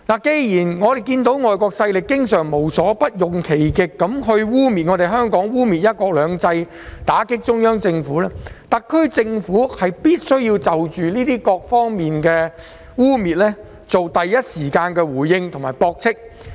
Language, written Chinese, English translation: Cantonese, 既然知道外國勢力經常無所不用其極，污衊香港和"一國兩制"及打擊中央政府，特區政府便須就種種污衊作出第一時間的回應及駁斥。, Since it is known that foreign powers often go to any lengths to defame Hong Kong and discredit one country two systems in order to attack the Central Government the SAR Government should instantly mount rebuttals in response to all sorts of defamation